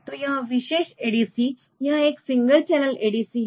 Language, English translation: Hindi, So, this particular ADC this is a single channel ADC